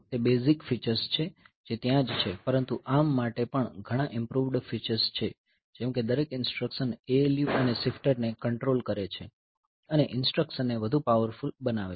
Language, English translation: Gujarati, So, those are the basic features that are there, but there are many improved features also for ARM like each instruction controls the ALU and shifter and making the instructions more powerful